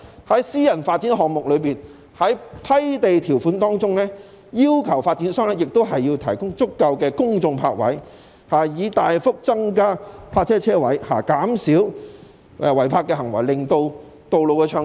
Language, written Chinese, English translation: Cantonese, 在私人發展項目中，批地條款應要求發展商提供足夠的公眾泊位，以大幅增加泊車位數目，減少違泊行為，令道路暢通。, In respect of private development projects the land grant conditions should include the requirement that sufficient public parking spaces should be provided by developers in order to substantially increase the number of parking spaces and reduce cases of illegal parking thereby maintaining smooth traffic on roads